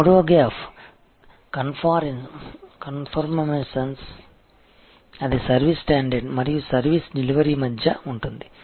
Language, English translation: Telugu, The third gap is conformance; that is between the service standard and the service delivery